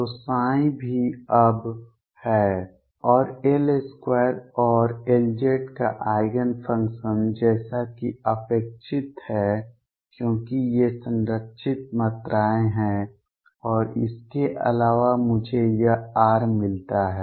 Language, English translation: Hindi, So, psi is also now psi is and Eigen function of L square and L z as is expected, because these are conserved quantities and in addition I get this r